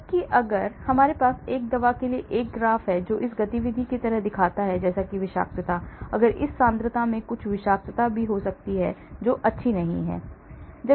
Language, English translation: Hindi, Whereas, if I have a graph for a drug which shows like this activity, like this toxicity, if I start using the drug in this concentration it can also have some toxicity as well which is not nice